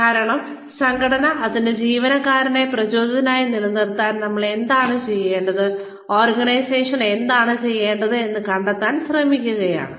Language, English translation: Malayalam, Because, we are trying to figure out, what we need to do, what the organization needs to do, to keep its employees, motivated